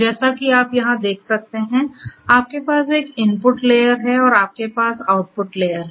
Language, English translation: Hindi, As you can see here, you have an input layer and you have an output layer